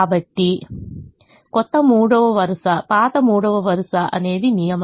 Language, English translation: Telugu, so the rule is: the new third row is the old third row minus six times